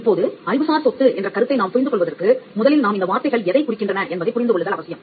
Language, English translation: Tamil, Now for us to understand the concept of intellectual property better we need to understand what these words stand for